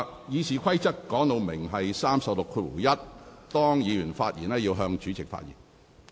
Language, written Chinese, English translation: Cantonese, 《議事規則》第361條訂明，議員發言時須向主席發言。, Rule 361 of the Rules of Procedure provides that a Member shall address his observations to the President